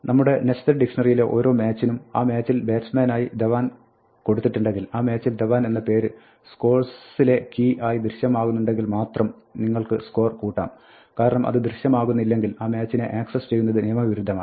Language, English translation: Malayalam, Now for each match in our nested dictionary, if Dhawan is entered as a batsman in that match, so if a name Dhawan appears as the key in score for that match then and only then you add a score, because if it does not appear it is illegal to access that match